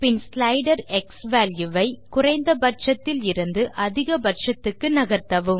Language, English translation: Tamil, And then move the slider xValue from minimum to maximum